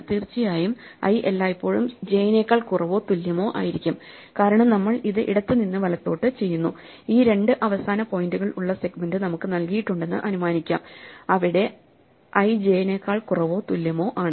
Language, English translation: Malayalam, And of course, i is always going to be less than or equal to j, because we are doing it from left to right, so we can assume that the segment is given to us with two end points where i is less than or equal to j